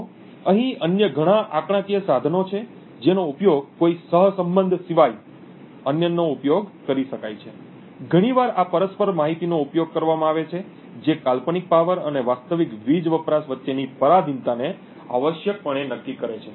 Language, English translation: Gujarati, So, there are various other statistical tools that can be used other than a correlation, quite often this mutual information is used which essentially quantifies the dependence between the hypothetical power and the real power consumption